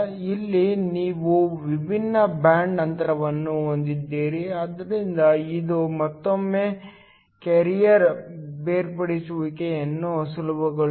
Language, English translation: Kannada, Here you have different band gaps so this again makes carrier separation easy